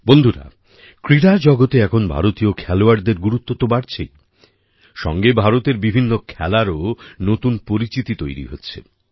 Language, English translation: Bengali, Friends, in the sports world, now, the dominance of Indian players is increasing; at the same time, a new image of Indian sports is also emerging